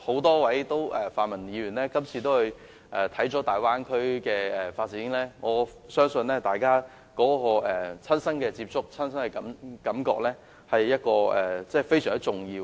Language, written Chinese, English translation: Cantonese, 多位泛民議員這次皆意識到大灣區的發展，我相信親身接觸和感受是非常重要的。, This time around many pan - democratic Members have realized the significance of the Bay Areas development . I believe first - hand experience and impression are very important